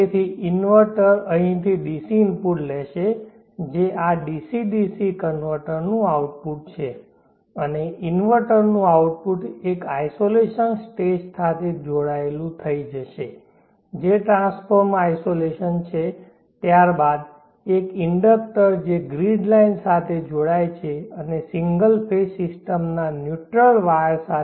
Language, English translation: Gujarati, So the inverter will take the DC input from here with the output of this DC DC converter and the output of the inverter will get connected to an isolation stage which is a transformer isolation followed by an inductor which gets linked to the grid line and neutral of a single phase system